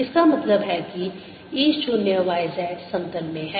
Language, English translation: Hindi, this means e zero is in the y z plane